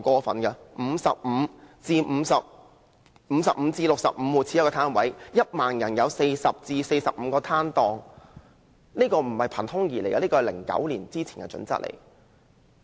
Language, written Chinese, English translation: Cantonese, 每55至65戶家庭應有一個街市檔位，或每1萬人應有40至45個攤檔，並不是憑空想象的，而是2009年之前的準則。, That is not a very demanding request . The standard of providing one public market stall for every 55 to 65 households or approximately 40 to 45 stalls per 10 000 persons is not a fanciful idea but a guideline set in 2009